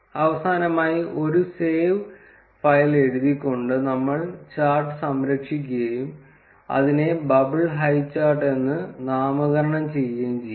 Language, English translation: Malayalam, Finally, we would save the chart by writing save file and we can name it as bubble highchart